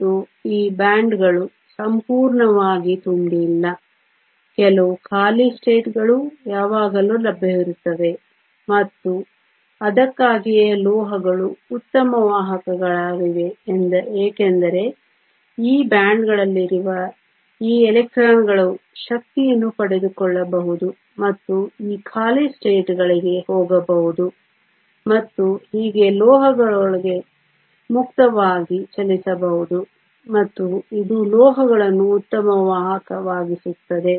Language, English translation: Kannada, And these bands are not completely full there are always some empty states are available and this is why metals are such good conductors because these electrons which are there in these bands can acquire energy and go to these empty states and thus can move freely within the metal and this makes metals very good conductors